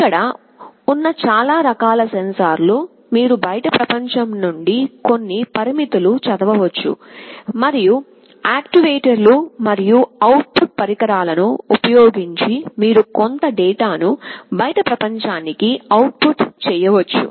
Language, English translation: Telugu, There are so many kinds of sensors, you can read some parameters from the outside world and using actuators and output devices, you can output some data to the outside world